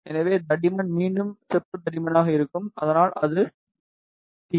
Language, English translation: Tamil, So, thickness will be again copper thickness, so that will be t